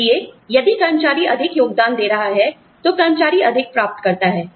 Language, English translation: Hindi, So, if the employee is contributing more, then the employee gets more